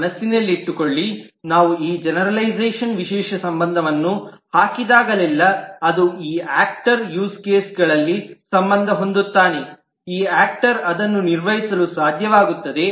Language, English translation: Kannada, Mind you, whenever we put this generalization, specialization, relationship that anything that this actor will be associated within the use case, this actor would be able to perform that